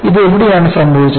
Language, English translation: Malayalam, And where this happened